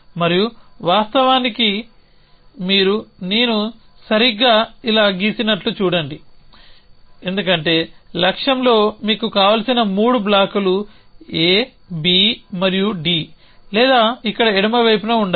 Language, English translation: Telugu, And in fact, you look at the I properly drawn this like this, because the 3 blocks A B and D that you want in the goal to be true or here in the left hand side